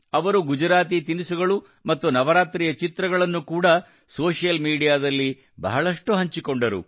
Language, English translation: Kannada, They also shared a lot of pictures of Gujarati food and Navratri on social media